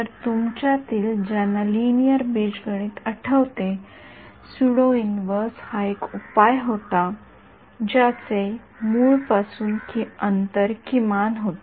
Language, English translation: Marathi, So, those of you remember your linear algebra the pseudo inverse was the solution which had minimum distance from the origin